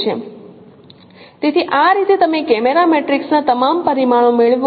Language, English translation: Gujarati, So, this is how you get, you know, all the parameters of the camera matrix